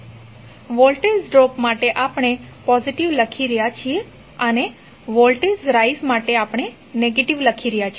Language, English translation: Gujarati, So, for voltage drop we are writing as positive and voltage rise we are writing as negative